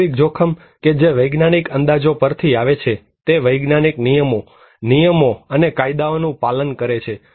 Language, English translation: Gujarati, Objective risk that kind of it comes from the scientific estimations, it follows scientific rules and regulations and laws